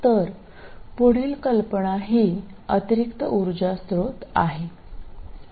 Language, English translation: Marathi, So the next idea is an additional power source